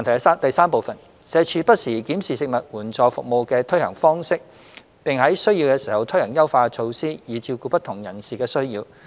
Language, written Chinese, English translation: Cantonese, 三社署不時檢視食物援助服務的推行方式，並在需要時推行優化措施，以照顧不同人士的需要。, 3 From time to time SWD reviews the implementation of STFASPs and introduces enhancement measures if necessary to cater for the needs of different service users